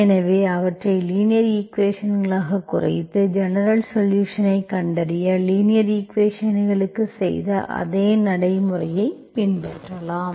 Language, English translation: Tamil, So we can reduce them into the linear equations and follow the same procedure which you have done for the linear equations to find the general solution, okay